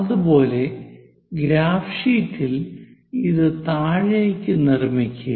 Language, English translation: Malayalam, Similarly, construct on the graph sheet all the way down